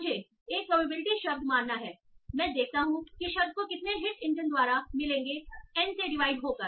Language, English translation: Hindi, So I have to assume the probability word, I see how many hits the word gets by the engine divide by n